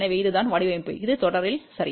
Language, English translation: Tamil, So, this is what the design which is in series ok